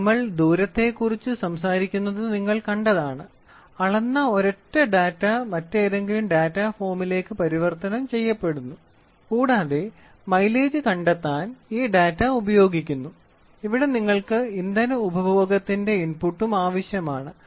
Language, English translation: Malayalam, So, here if you see we talk about distance so, a single measured data is converted into some other data form and this data is used to find out the mileage and here you also need an input of fuel consumption